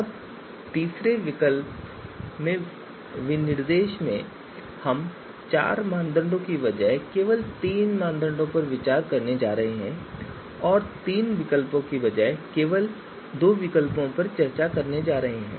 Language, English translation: Hindi, So here instead of you know instead of four criteria we are going to consider just three and instead of three alternatives we are going to consider you know just you know you know just two alternatives